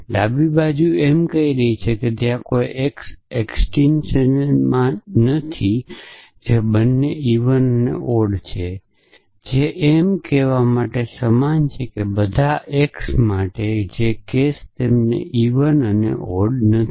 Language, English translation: Gujarati, So, this left side is saying that there does naught exist an x which is both even and odd which is equivalent to saying that for all x which the case at they are naught even and odd